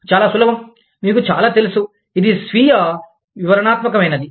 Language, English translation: Telugu, Very simple, very you know, this is self explanatory